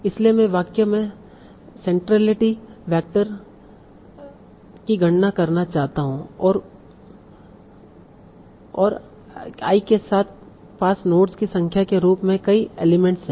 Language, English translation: Hindi, So that is I want to compute the sentence centrality vector I and I has as many elements as the number of nodes